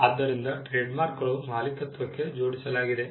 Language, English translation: Kannada, So, trademarks were tied to ownership